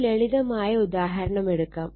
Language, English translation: Malayalam, So, take a one small take a simple example